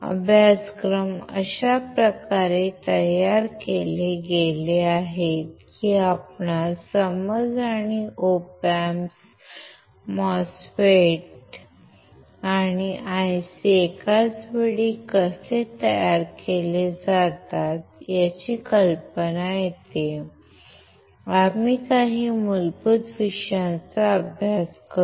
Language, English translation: Marathi, The courses are designed in such a way that, you get the understanding and the idea of how the Op Amps the MOSFETs and IC s are fabricated at the same time, we will touch the base of few of the topics